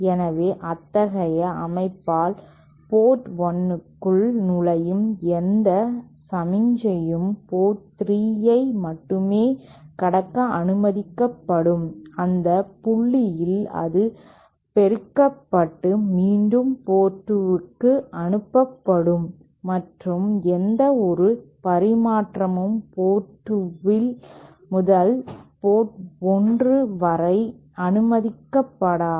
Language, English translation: Tamil, So, with such a setup, any signal entering port 1 will be allowed to pass port 3 only at which point it will get amplified and transmit back to port 2 and any transmission back from port 2 to port 1 is not allowed